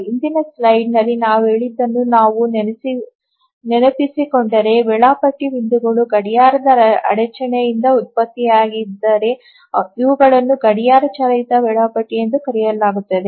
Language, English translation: Kannada, So, if you remember what we said in the earlier slide is that if the scheduling points are generated by a clock interrupt, these are called as clock driven scheduler